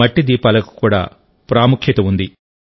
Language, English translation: Telugu, Earthen lamps have their own significance